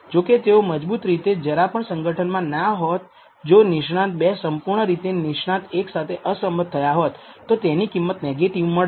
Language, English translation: Gujarati, Otherwise it is not strongly associated or completely if the expert 2 completely disagrees with expert 1 you might get even negative values